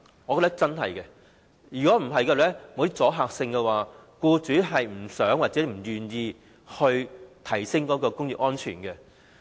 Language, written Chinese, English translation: Cantonese, 我認為若不推出一些阻嚇性措施，僱主是不願意提升職業安全的。, I believe if no deterrent measure is introduced no employer is willing to enhance occupational safety